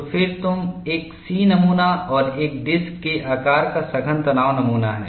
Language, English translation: Hindi, Then you have a C specimen and a disc shaped compact tension specimen